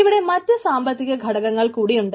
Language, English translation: Malayalam, there are other two direct economic factor